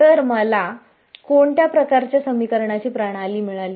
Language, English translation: Marathi, So, what kind of a sort of system of equations have I got now